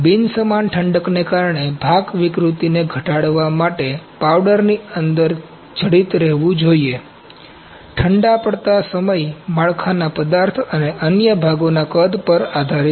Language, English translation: Gujarati, The part should remain embedded inside the powder to minimize part distortion due to the non uniform cooling the cool down time is dependent upon the build material and the size of the other parts